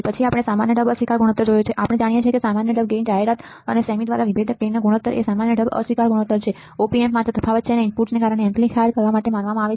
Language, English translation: Gujarati, Then we have seen a favorite common mode rejection ratio, we know that the ratio of the difference gain to the common mode gain ad by a cm is our common mode rejection ratio, Op Amps are only supposed to amplify the difference and of the inputs and not the common mode gain